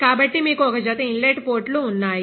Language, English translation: Telugu, So, you have a pair of inlet ports